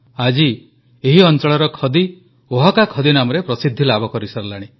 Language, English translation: Odia, Today the khadi of this place has gained popularity by the name Oaxaca khaadi